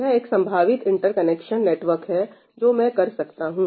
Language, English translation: Hindi, This is one possible interconnection network that I have come up with